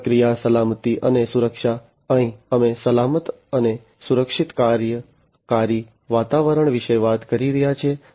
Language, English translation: Gujarati, Process safety and security, here we are talking about safe and secure working environment